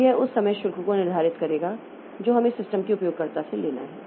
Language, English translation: Hindi, So, that will determine the overall charge that we have to take from the user of the system